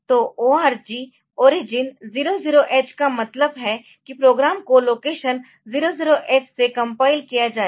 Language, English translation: Hindi, So, org origin 00H means that the programme will be complied from location 00H